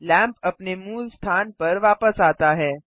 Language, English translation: Hindi, The lamp moves back to its original location